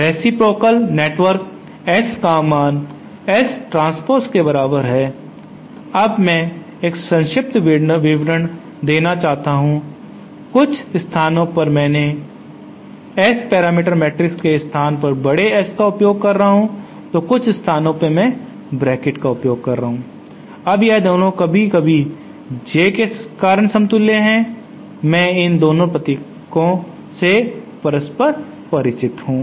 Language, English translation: Hindi, Reciprocal network S is equal to S transpose now I just want to give a short short description of my of my naming convention in some K places I am using S the capital S symbol to represent the S parameter matrix and some places I am using a bracket now both these 2 are equivalent sometimes due to the J, I am familiar with I these both these symbols interchangbly